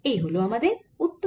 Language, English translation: Bengali, that's the answer